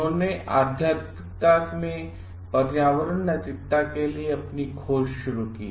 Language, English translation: Hindi, The started their search for environmental ethics in spirituality